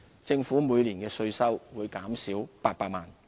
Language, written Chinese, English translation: Cantonese, 政府每年的稅收會減少800萬元。, This measure will benefit 3 500 taxpayers and reduce tax revenue by 8 million a year